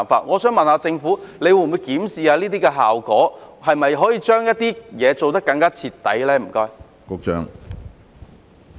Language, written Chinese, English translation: Cantonese, 我想問政府，會否檢視有關效果，是否可以將一些工作做得更加徹底呢？, May I ask whether the Government will review the relevant effects and whether some work can be done more thoroughly?